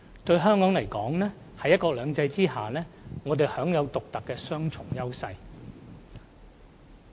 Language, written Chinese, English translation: Cantonese, 對香港而言，在"一國兩制"下，我們享有獨特的雙重優勢。, For Hong Kong one country two systems allows us to enjoy a unique double advantage